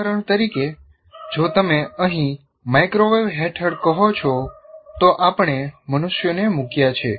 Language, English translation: Gujarati, For example, if you say here under microwave microwave we have put humans here